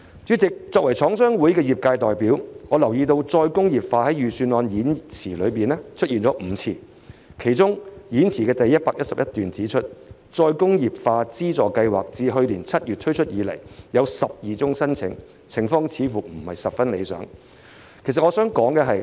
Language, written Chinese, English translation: Cantonese, 主席，作為廠商會的業界代表，我留意到"再工業化"在本年度預算案演辭中出現了5次，其中演辭第111段指出，再工業化資助計劃自去年7月推出以來，共收到12宗申請，情況似乎不太理想。, President as a trade representative from the Chinese Manufacturers Association of Hong Kong CMA I noticed that the term re - industrialization has appeared five times in this years Budget Speech . According to paragraph 111 of the Speech the Re - industrialisation Funding Scheme which was launched in July last year has received 12 applications so far . It does not appear quite so satisfactory